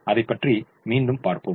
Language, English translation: Tamil, we will look at that again, we will see